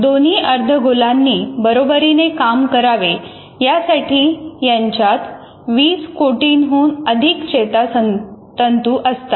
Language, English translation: Marathi, It consists of more than 200 million nerve fibers so that the two hemispheres can act together